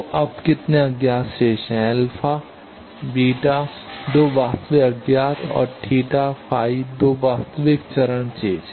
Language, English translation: Hindi, So, now how many unknowns we are remaining, alpha beta 2 real unknowns and theta phi 2 real phase thing